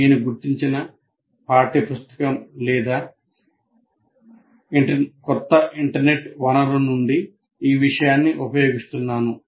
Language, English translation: Telugu, I may be using this material from a particular textbook or some internet resource